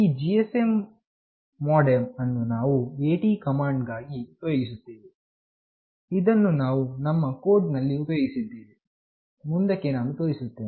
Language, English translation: Kannada, The GSM modem that we will be using use AT commands, which we have also used in our code when we show you next